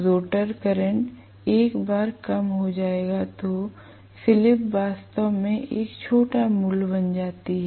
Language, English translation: Hindi, The rotor current will get decreased once; the slip becomes really really a small value